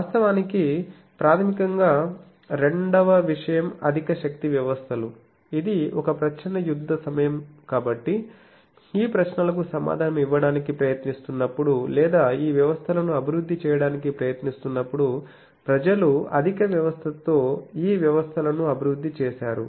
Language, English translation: Telugu, Actually basically the second thing high power systems that was a cold war time thing so that time while trying to answer these questions or trying to develop these systems people came out with the high power developed these systems